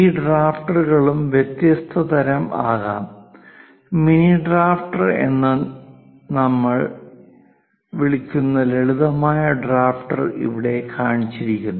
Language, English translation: Malayalam, These drafters can be of different types also;, the simple drafter which we call mini drafter is shown here